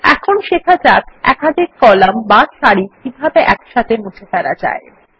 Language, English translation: Bengali, Now lets learn how to delete multiple columns or rows at the same time